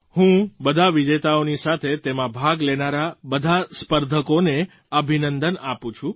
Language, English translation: Gujarati, I along with all the winners, congratulate all the participants